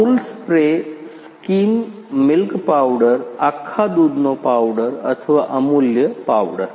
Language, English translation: Gujarati, Amul spray, skim milk powder, whole milk powder or Amulya powder